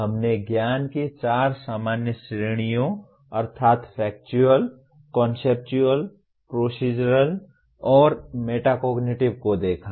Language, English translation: Hindi, We looked at four general categories of knowledge namely Factual, Conceptual, Procedural, and Metacognitive